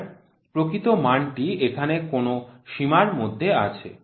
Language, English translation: Bengali, So, true value somewhere is in the range